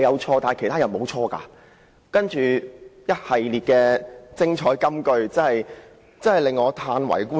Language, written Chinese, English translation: Cantonese, "他其後一系列的精彩金句真的叫我歎為觀止。, His subsequent series of brilliant remarks are really amazing